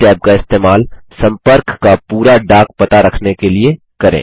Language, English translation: Hindi, Use this tab to store the complete postal address for the contact